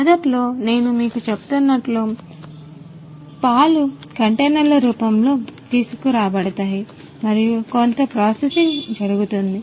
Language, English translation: Telugu, So, initially you know what happens as I was telling you, the milk is brought in the form of containers then there is some processing that takes place